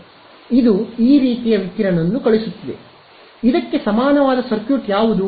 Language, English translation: Kannada, So, it is sending out radiation like this, correct what is the circuit equivalent of this